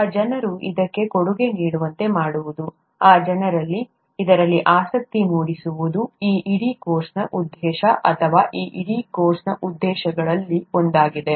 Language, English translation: Kannada, Getting those people to contribute to this, getting those people interested in this, is the purpose of this whole course, or one of the purposes of this whole course